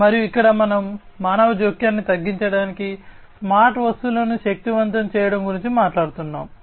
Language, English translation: Telugu, And here we are talking about empowering smart objects to reduce human intervention